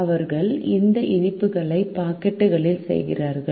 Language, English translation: Tamil, they make this sweets in packets